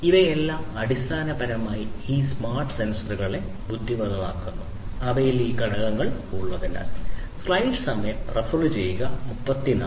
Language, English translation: Malayalam, All of these basically make these smart sensors intelligent, right, by virtue of having these components in them